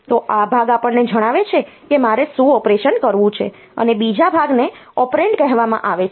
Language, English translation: Gujarati, So, this part tells us like what is the operation that I want to do, and the second part is called the operand